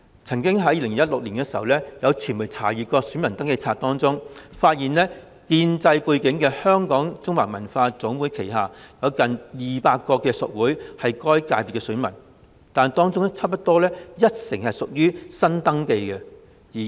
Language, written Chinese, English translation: Cantonese, 在2016年，曾經有傳媒查閱選民登記冊，發現具建制背景的香港中華文化總會旗下，有近200個屬會為文化界的選民，但差不多有一成屬於新登記。, In 2016 a media exposed upon checking the register for electors that almost 200 member associations under the Association of Chinese Culture of Hong Kong ACCHK an organization with pro - establishment background were electors of the Cultural subsector . However nearly 10 % of these member associations were newly registered